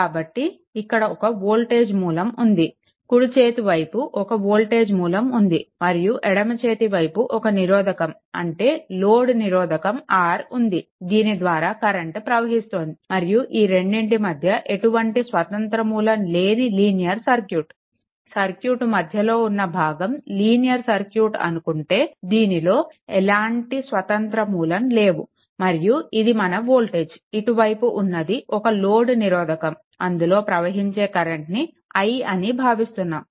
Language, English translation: Telugu, So, you have you have one voltage source, you have one voltage source and here one left hand side one resistor load resistor is there R and current is flowing through it and between a linear circuit without independent in between your what you call this portion is a linear circuit, but without any without independent sources and this is voltage, and this is your what you call this is your one load resistance R is their current flowing through it is i right